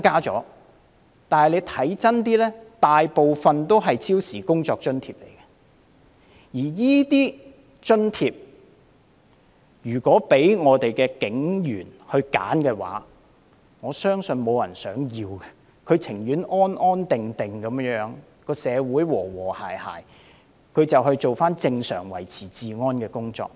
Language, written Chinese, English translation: Cantonese, 但是，有一點是要看清楚的，當中大部分是超時工作津貼，如果警員可以選擇，我相信沒有人想得到這津貼，他們寧願社會安定和諧，可以回復正常的維持治安工作。, However we have to see clearly that a majority of the increase is for overtime work allowance . If given a choice I believe no police officer would want this allowance . They would prefer a stable and harmonious society so that they can resume their normal duty of maintaining law and order